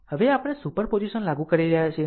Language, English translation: Gujarati, Now superposition we are applying